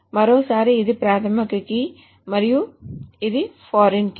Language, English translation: Telugu, Once more, this is the primary key and this is the foreign key